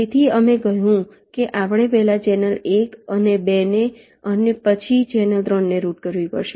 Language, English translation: Gujarati, so we said that we have to first route channel one and two, followed by channel three